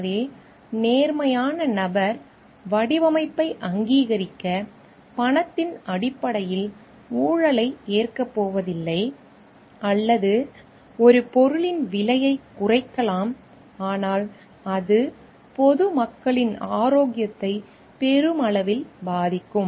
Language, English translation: Tamil, So, person with integrity is not going to accept corruption in terms of money to approve design or that might decrease the cost of a product, but it would affect the health of the public at large